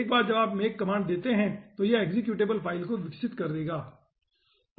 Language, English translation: Hindi, okay, once you give the make command, it will be developing the executable files